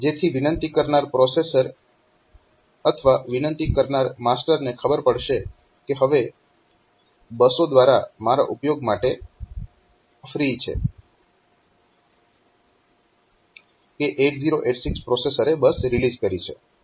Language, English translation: Gujarati, So, that the requesting processor or requesting master will know that now the buses are free for my use, the other 8086 processor it is released the bus